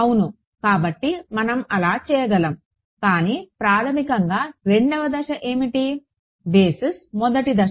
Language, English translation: Telugu, Right; so, we could do that, but basically step 2 was what, basis is one first step